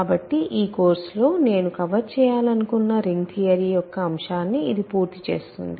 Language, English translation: Telugu, So, that completes the topic of ring theory that I wanted to cover in this course